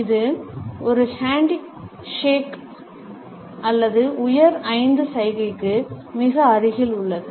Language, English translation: Tamil, It is very close to a handshake or the high five gesture